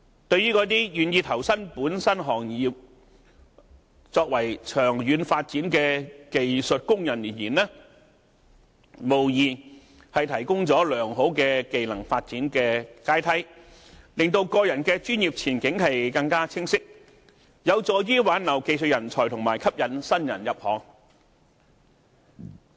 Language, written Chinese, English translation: Cantonese, 對於那些願意投身本身行業作長遠發展的技術工人而言，無疑提供了良好的技能發展階梯，令個人的專業前景更為清晰，有助於挽留技術人才和吸引新人入行。, For skilled workers who are prepared to seek development in the industry long term this doubtless provides a ladder for skill enhancement and clearer professional prospects which helps retain skilled talents and attract new blood to join the industry